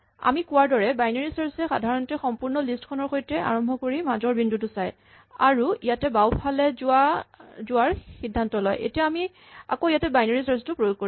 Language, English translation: Assamese, So, binary search in general will start with the entire list and then as we said it look at the midpoint and decide on the left, so we will have to again perform binary search on this